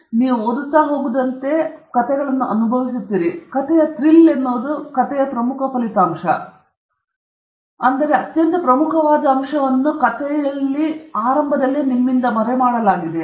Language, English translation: Kannada, If you read, if you have been enjoying good stories, the thrill in the story is that the most important result or the most important point of the story is hidden from you